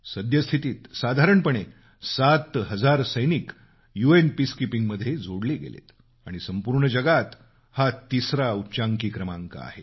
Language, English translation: Marathi, Presently, about seven thousand Indian soldiers are associated with UN Peacekeeping initiatives which is the third highest number of soldiers from any country